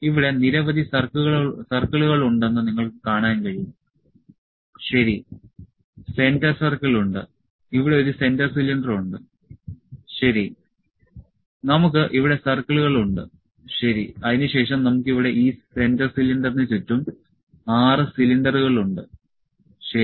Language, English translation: Malayalam, So, you can see there are number of circles here, ok, there are centre circle, a centre cylinder here, ok, we have circles here, ok, then we have 6 cylinders around this centre cylinder, ok